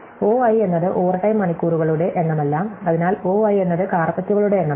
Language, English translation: Malayalam, So, O i is not the number of hours overtime, so O i is the number of carpets